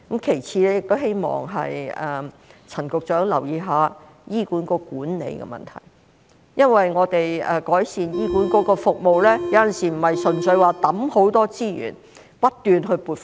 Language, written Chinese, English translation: Cantonese, 其次，我亦希望陳局長留意一下醫管局管理的問題，因為改善醫管局的服務，有時不是純粹靠投放很多資源，不斷撥款。, Moreover I hope Secretary CHAN will pay attention to the management problem of HA because improving the services of HA sometimes does not simply depend on injection of substantial resources and continuous funding